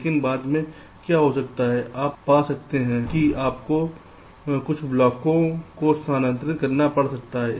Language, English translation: Hindi, but what might happen later on is that you may find that you may have to move some blocks around